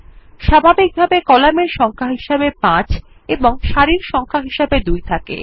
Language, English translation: Bengali, By default, Number of columns is displayed as 5 and Number of rows is displayed as 2